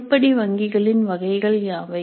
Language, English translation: Tamil, What are the types of item banks